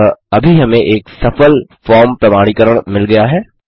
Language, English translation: Hindi, So, at the moment we have now got a successful form validation